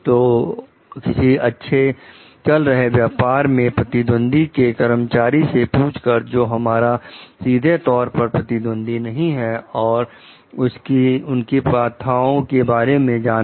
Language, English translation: Hindi, So, asking competitor employees of like well run businesses which is not a direct competitor about their practices